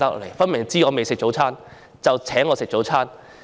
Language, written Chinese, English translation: Cantonese, 明顯地，對方知道我未吃早餐，所以請我吃早餐。, Obviously that person knew that I had not had my breakfast yet so he or she treated me to breakfast